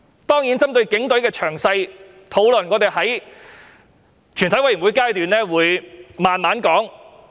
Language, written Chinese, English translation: Cantonese, 當然，針對警隊的詳細討論，我們會在全體委員會審議階段細說。, Certainly we will discuss matters concerning the Police Force in more detail at the Committee stage